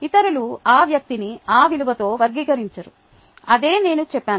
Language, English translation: Telugu, others characterized that person with that value